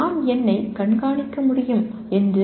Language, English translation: Tamil, That I should be able to monitor myself